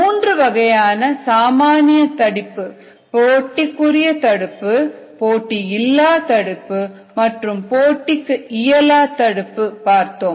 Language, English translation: Tamil, we said that there could be three kinds of common inhibitions: competitive inhibition, non competitive inhibition and non competitive inhibition